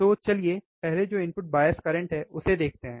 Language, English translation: Hindi, So, let us see the first one which is input bias current, right